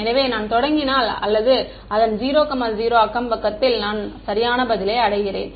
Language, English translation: Tamil, So, if I started from 0 0 or its neighborhood I reach the correct answer